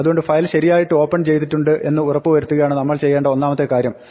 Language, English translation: Malayalam, So, the first thing we need to do is to make sure that we open it correctly